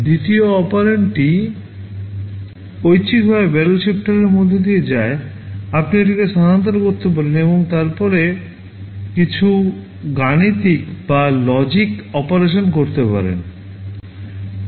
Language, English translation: Bengali, The second operand optionally goes through the barrel shifter, you can shift it and then you can do some arithmetic or logic operations